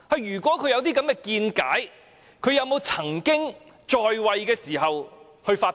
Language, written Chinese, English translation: Cantonese, 如果她有這種見解，她可曾於在位時發表？, If she has really been holding such opinions did she ever express them when she was in office?